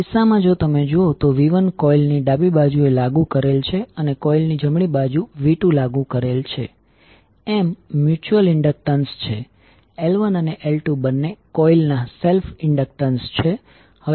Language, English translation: Gujarati, So in this case, if you see v 1 is applied on the left side of the coil, v 2 is applied at the right side of the coil, M is the mutual inductance, L 1 and L 2 are the self inductances of both coils